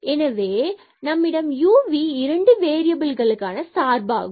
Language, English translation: Tamil, So, u and v and then we have here y is a function of again of 2 variables u and v